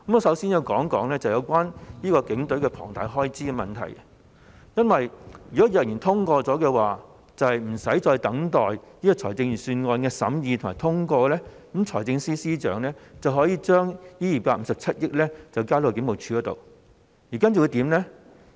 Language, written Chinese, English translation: Cantonese, 首先，我想指出有關警隊龐大開支撥款的問題，如果決議案獲得通過，在無須等待財政預算審議和通過的情況下，財政司司長便可以先把這257億元交給警務處，然後會怎樣呢？, Firstly I wish to highlight the issue relating to the enormous expenditure provision for the Police Force . If this resolution is passed the Financial Secretary will be able to give this 25.7 billion to the Police Force without having to wait for the scrutiny and passage of the Budget . Then what will happen?